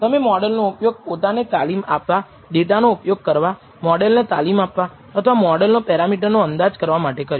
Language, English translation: Gujarati, You have used the model to train you to use the data to train the model or estimate the parameters of the model